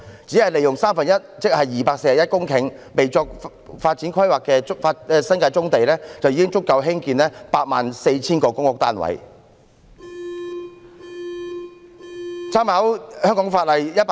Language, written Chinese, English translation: Cantonese, 只要利用三分之一，即約241公頃未作發展規劃的新界棕地，已足夠興建 84,000 個公屋單位。, If we use only one third of such land that means about 241 hectares of brownfield sites in the New Territories which have not been planned for development it is already sufficient for the construction of 84 000 public housing units